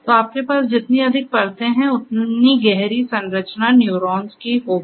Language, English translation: Hindi, So, the more number of layers you have, the deeper structure you are going to have of the neural neurons